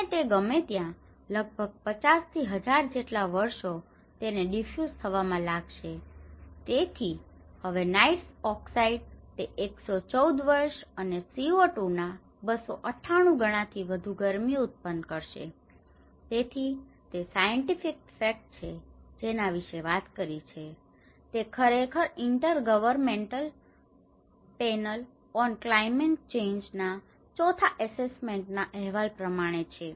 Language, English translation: Gujarati, And this takes about anywhere from 50 to 1000’s of years to you know get diffused and so now, nitrous oxide it takes 114 years and releases more heat about 298 times than the same amount of CO2, so this is the scientific facts that which talk about, this is actually from the Intergovernmental Panel on climate change in the fourth assessment report